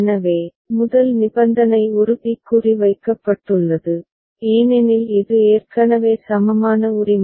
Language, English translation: Tamil, So, the first condition is put a tick mark because it is already equivalent right